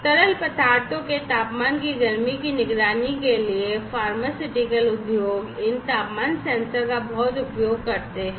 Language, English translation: Hindi, Pharmaceutical industries also use a lot of these temperature sensors for monitoring the heat of the temperature of the liquids